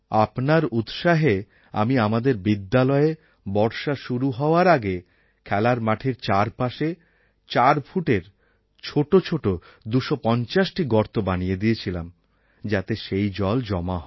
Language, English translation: Bengali, "Drawing inspiration from you, in our school, before the onset of monsoon we dug 250 small trenches which were 4 feet deep, along the side of the playground, so that rainwater could be collected in these